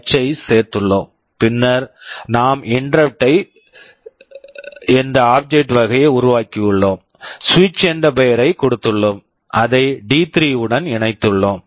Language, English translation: Tamil, h, then we have created an object of type InterruptIn, we have given the name switch, we have connected it to D3